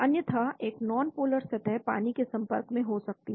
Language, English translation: Hindi, Otherwise, there could be a non polar surface exposed to water